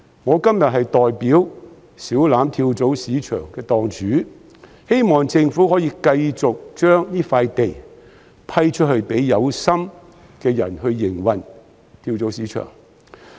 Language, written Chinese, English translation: Cantonese, 我今天代表小欖跳蚤市場的檔主，希望政府可以繼續批出這幅土地，讓有心人士繼續營運跳蚤市場。, Today I am speaking for the stall owners of Siu Lam Flea Market . I hope that the Government will continue to grant this piece of land to those who intend to keep operating the flea market